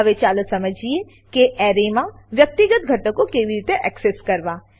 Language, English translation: Gujarati, Now, let us understand how to access individual elements in an array